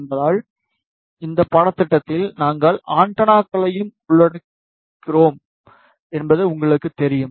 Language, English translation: Tamil, Since, we know in this course we are also covering antennas